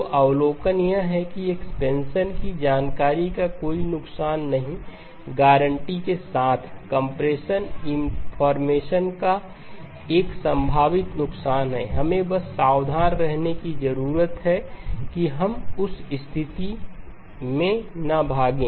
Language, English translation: Hindi, So the observation is that expansion; no loss of information guaranteed, compression; there is a potential loss of information we just need to be careful that we do not run into that situation